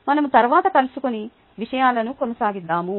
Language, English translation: Telugu, lets meet next and take things forward